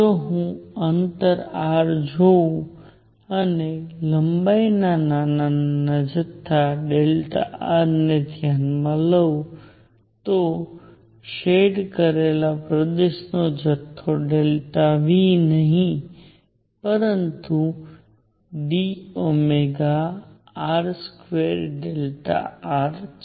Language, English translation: Gujarati, If I look at a distance r and consider a small volume of length delta r then this volume of the shaded region delta V is nothing but d omega r square delta r